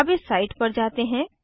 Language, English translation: Hindi, Let us visit this site now